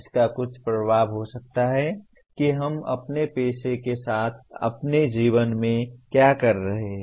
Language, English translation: Hindi, Which can have some impact on what we are doing both in our profession as well as in our life